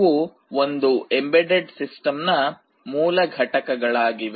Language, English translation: Kannada, These are the basic components of a typical embedded system